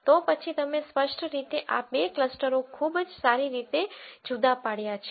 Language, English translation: Gujarati, Then you have clearly these two clusters very well separated